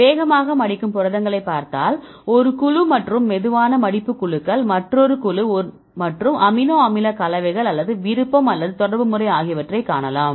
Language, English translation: Tamil, So, if you see the fast folding proteins one; one group and the slow folding groups another group and see the amino acid compositions or the preference or the contacting pattern